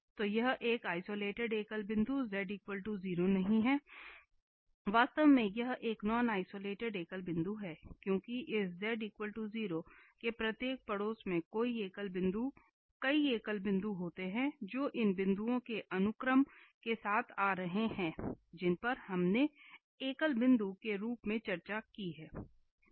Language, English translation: Hindi, So, this is not an isolated singular point z equal to 0 is not a, not an isolated singular point, indeed it is a non isolated singular point, because every neighbourhood of this z equal to 0 contains many singular points which are exactly coming with these sequence of points which we have discussed as singular points, so that is an example here where we can see that there are non isolated singular points as well